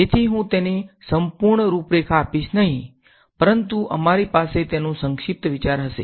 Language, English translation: Gujarati, So, I will not outline it fully, but we will just have a brief idea of it